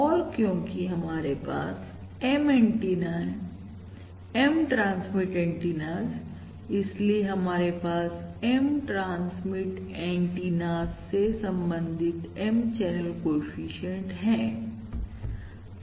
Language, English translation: Hindi, And since we have M antennas M transmit antennas, therefore we naturally have M channel coefficients corresponding to the M transmit antennas